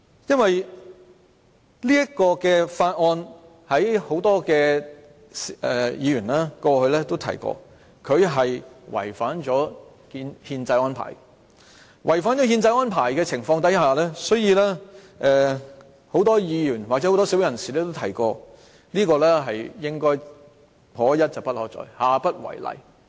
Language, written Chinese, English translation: Cantonese, 因為許多議員過去也提到《廣深港高鐵條例草案》違反憲制。在違反憲制的情況下，很多議員或社會人士均提出這應該"可一不可再"，下不為例。, Since the Guangzhou - Shenzhen - Hong Kong Express Rail Link Co - location Bill the Bill was described by many Members as unconstitutional many Members and members of the community consider that this will be a unique case and will not be repeated in the future